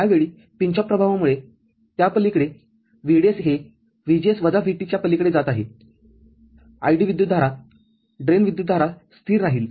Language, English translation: Marathi, At that time, because of the pinch off effect beyond that, VDS is going beyond VGS minus VT, the ID, the current the drain current will remain constant